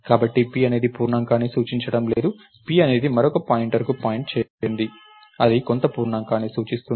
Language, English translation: Telugu, So, p is not pointing to an integer, p in turn is pointing to another pointer which is in turn pointing to a some integer